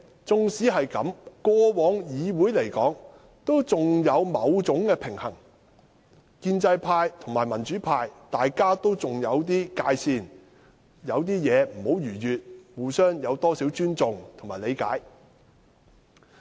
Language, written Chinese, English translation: Cantonese, 縱使如此，議會過往仍有某種平衡，建制派和民主派仍有不會逾越的界線，互相保留幾分尊重和理解。, Despite this the Council used to have some kind of balance . There was a line that neither the pro - establishment camp nor the pro - democracy camp would cross . The two camps had certain respect and understanding for each other